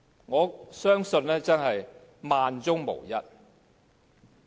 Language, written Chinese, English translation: Cantonese, 我相信這真的是萬中無一。, I believe it is extremely rare